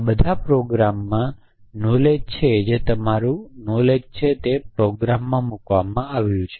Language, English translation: Gujarati, All these programs contain knowledge which is your knowledge which has been put into the program